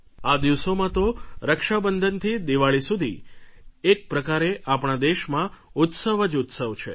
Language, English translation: Gujarati, From Raksha Bandhan to Diwali there will be many festivals